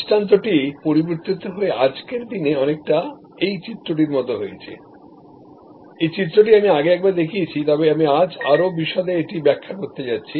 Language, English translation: Bengali, The paradigm is changing today to sort of a this diagram, this diagram I have shown once before, but I am going to explain it in greater detail today